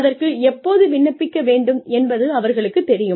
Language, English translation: Tamil, They know, when to apply